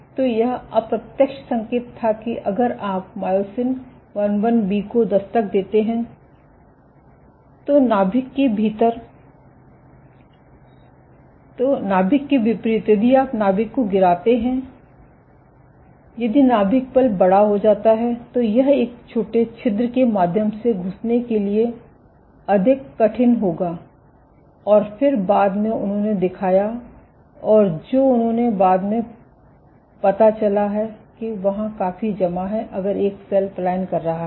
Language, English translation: Hindi, So, this was indirect hint that if as opposed to a nuclei been very thin if you knock down myosin IIB, if the nucleus becomes big then it will be that much more difficult to squeeze through a small pore and then they subsequently showed, that there is they subsequently showed that there is accumulation off